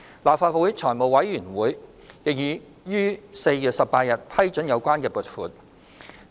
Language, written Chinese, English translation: Cantonese, 立法會財務委員會已於4月18日批准有關撥款。, The Finance Committee FC of the Legislative Council approved the related funding on 18 April